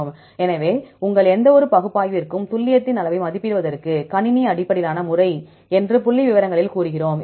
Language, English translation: Tamil, So, in statistics we say computer based method, to assess the measure of accuracy for any your analysis